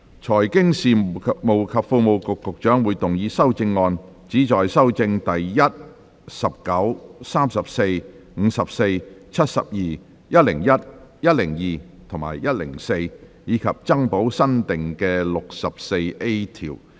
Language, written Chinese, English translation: Cantonese, 財經事務及庫務局局長會動議修正案，旨在修正第1、19、34、54、72、101、102及104條，以及增補新訂的第 64A 條。, The Secretary for Financial Services and the Treasury will move amendments which seek to amend Clauses 1 19 34 54 72 101 102 and 104 and add new clause 64A